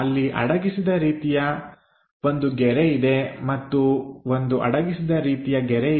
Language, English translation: Kannada, There is hidden line there and also there is a hidden line